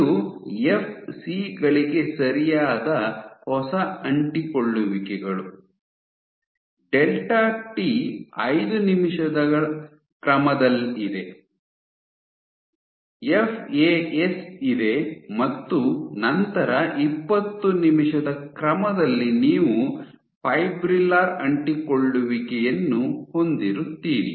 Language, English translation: Kannada, So, this is right nascent adhesions to FCS, delta t is order 5 minutes, you have FAS and then order 20 minute you have fibrillar adhesions